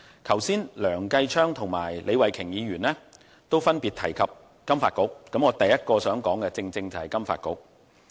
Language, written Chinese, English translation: Cantonese, 剛才梁繼昌議員和李慧琼議員分別提及香港金融發展局，而我第一點想說的正是金發局。, Just now Mr Kenneth LEUNG and Ms Starry LEE both mentioned the Financial Services Development Council FSDC and my first point happens to about FSDC as well